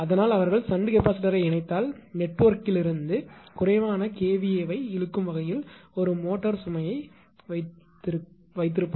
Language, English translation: Tamil, So, if that is why they connect the shunt capacitor across the suppose; a motor load such that it will draw less kVA from the network